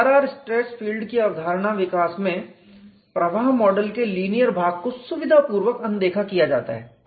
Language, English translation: Hindi, In the development of HRR stress field concept the linear portion of the flow model is conveniently ignored